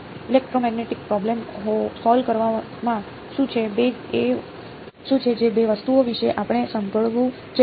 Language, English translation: Gujarati, What is the in solving electromagnetic problems what are the two things we have heard of